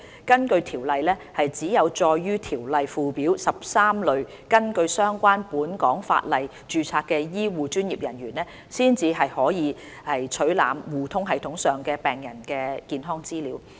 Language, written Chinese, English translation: Cantonese, 根據《條例》，只有載於《條例》附表的13類根據相關本港法例註冊的醫護專業人員，方可取覽互通系統上病人的健康資料。, According to the Ordinance only the 13 types of health care professionals specified in the Schedule to the Ordinance who are registered under the relevant local laws can access patients health data on eHRSS